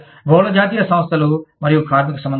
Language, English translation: Telugu, Multi national enterprises and labor relations